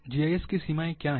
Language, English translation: Hindi, What are the limitations of GIS